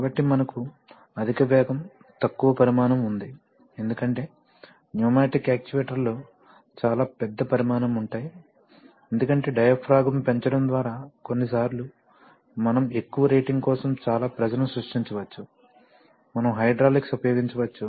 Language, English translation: Telugu, So we have higher speed lower size because pneumatic actuators can be of quite high, I mean of larger size because by just by increasing the diaphragm sometimes we can create a lot of pressure for even higher ratings, we can use hydraulics